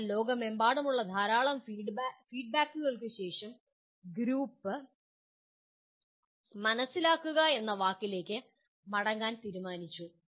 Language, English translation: Malayalam, But after lot of feedback coming from all over the world, the group decided to come back to the word understand